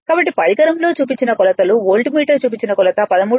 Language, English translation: Telugu, So, therefore, the reading of the instrumental are voltmeter reading will be 13